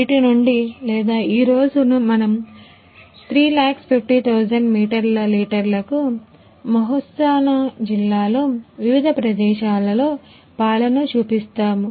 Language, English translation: Telugu, From these or today we will display for 3 lakh 350000 meter litre milk in various places in Mehsana district